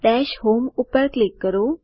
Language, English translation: Gujarati, Click on Dash home